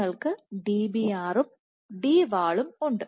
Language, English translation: Malayalam, So, you have Dbr and Dwall